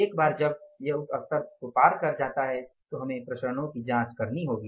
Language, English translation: Hindi, Once it crosses that level we will have to investigate the variances